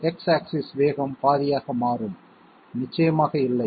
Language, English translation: Tamil, The x axis speed will become half, definitely not